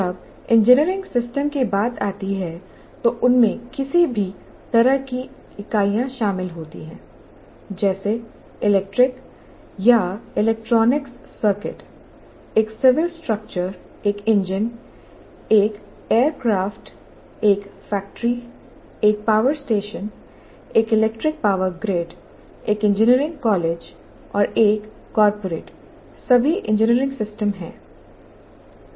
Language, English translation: Hindi, And when it comes to engineering systems, they include any kind of unit, electric or electronic circuits, a civil structure, an engine, an aircraft, a factory, a power station, an electric power grid, even an engineering college and a corporate, these are all engineering systems